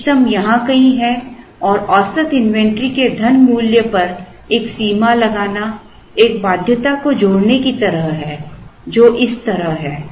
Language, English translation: Hindi, The optimum is somewhere here and a limit on the money value of the average inventory is like adding a constraint which is like this